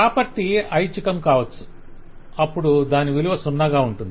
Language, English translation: Telugu, If a property is optional, then I can have null value for it